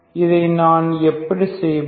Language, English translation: Tamil, How do I do this one